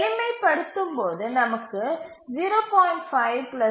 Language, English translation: Tamil, And if we simplify, we get 0